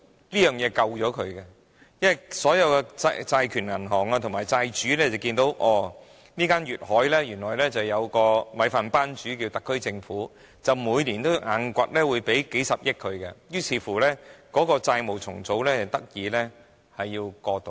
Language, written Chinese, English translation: Cantonese, 這協議拯救了該公司，因為所有債權銀行和債主看見，原來粵海有特區政府這個"米飯班主"，每年都一定會支付數十億元給它，於是該公司的債務重組得以過渡。, This agreement saved the company since all creditor banks and creditors saw that GD Holdings had SAR Government as its meal ticket . The SAR Government was obliged to pay it several billions of dollars each year so the company survived its debt restructuring